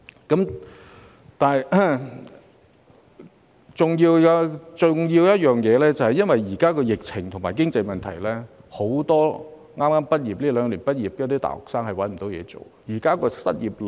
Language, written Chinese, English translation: Cantonese, 同樣重要的一點是，現在因為疫情和經濟問題，很多這兩年畢業的大學生找不到工作。, What is equally important is that many university students who graduated in these two years have been unable to find jobs due to the epidemic and economic woes